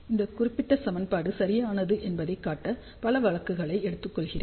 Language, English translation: Tamil, Let me take a few cases just to show that this particular equation is right